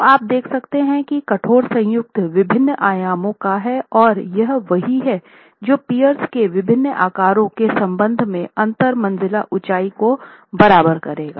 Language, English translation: Hindi, So, you can see that the rigid joint is of different dimensions and that is what will equalize the interstory height with respect to different sizes of piers